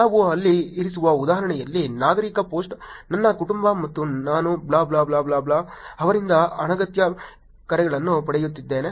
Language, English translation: Kannada, In example which we kept there, a Citizen post: my family and I are getting the unwanted calls from blah blah blah blah